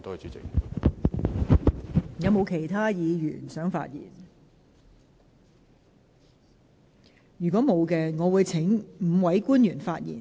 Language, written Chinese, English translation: Cantonese, 如果沒有議員想發言，我會請5位官員發言。, If no Member wishes to speak I will invite the five public officers to speak